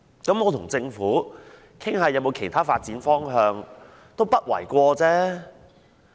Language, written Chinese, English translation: Cantonese, 那麼跟政府討論有否其他發展方向也不為過吧？, So it is by no means unreasonable for it to discuss other development direction with the Government